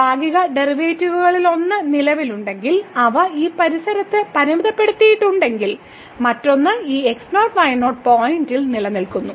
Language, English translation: Malayalam, So, if one of the partial derivatives exist and is bounded in this neighborhood and the other one exist at this point